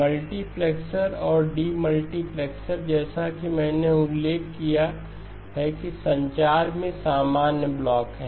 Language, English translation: Hindi, The multiplexer and demultiplexer as I mentioned are common blocks in communications